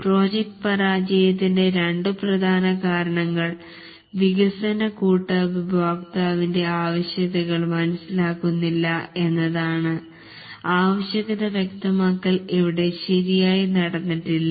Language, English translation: Malayalam, Two major reasons why the project fails is that the development team doesn't understand the customer's requirements